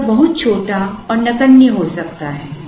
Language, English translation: Hindi, The difference may be very small and negligible